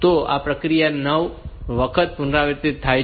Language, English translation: Gujarati, So, this process is repeated for 9 times